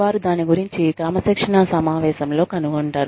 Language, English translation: Telugu, They find out, about it, in the disciplinary session